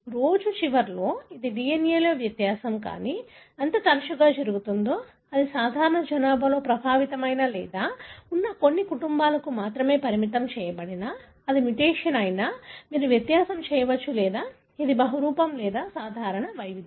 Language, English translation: Telugu, It is, at the end of the day it is the difference in the DNA, but how frequent it is, whether it is restricted to few families that are affected or present in the normal population, you can make the distinction whether it is a mutation or it is a polymorphism or common variant